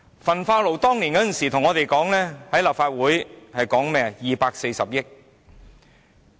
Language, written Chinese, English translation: Cantonese, 政府當年在立法會表示，興建焚化爐費用為240億元。, When the Government first introduced the incinerator project to the Legislative Council it said the construction cost was 24 billion